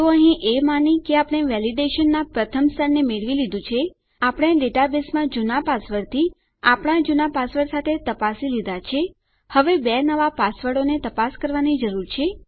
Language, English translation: Gujarati, So here, assuming weve got through the first stage of our validation, we checked the old password with to old password in the database now we need to our two new passwords